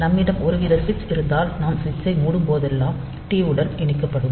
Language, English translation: Tamil, So, if we have some sort of switch here, the connected to the T 0 such that when whenever we close the switch